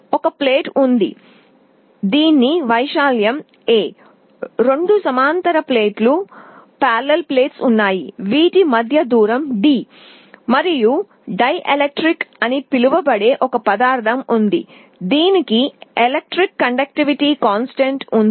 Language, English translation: Telugu, There is a plate whose area is A, there are two parallel plates, the separation is d, and there is a material in between called dielectric, which has a dielectric constant